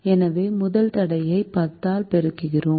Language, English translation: Tamil, so we multiply the first constraint by ten